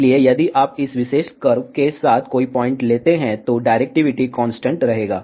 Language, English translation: Hindi, So, if you take any point along this particular curve, directivity will be constant